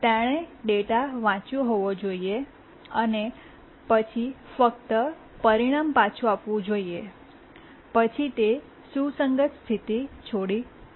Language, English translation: Gujarati, It should have read the data and then written back the result, then it would have left it in a consistent state